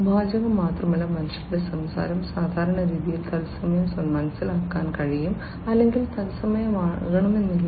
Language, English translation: Malayalam, Not just the text, but the speech of the human beings can be understood typically in real time or, you know, may not be real time as well